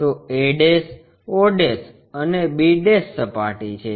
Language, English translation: Gujarati, So, a' o' and b' surface